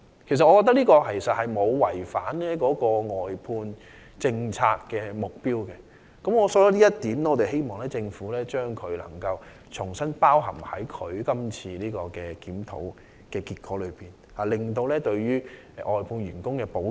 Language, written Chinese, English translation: Cantonese, 我覺得這沒有違反外判政策的目標，希望政府能夠將此安排重新納入有關檢討中，以期完善對外判員工的保障。, In my view it will not violate the objectives of the outsourcing policy and I hope the Government can include this arrangement into the relevant review again as a means of improving the protection of outsourced workers